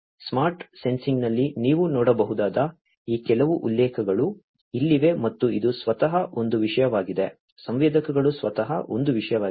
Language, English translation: Kannada, Here are some of these references that you could go through there are many others on smart sensing and this is a topic by itself sensors are a topic by itself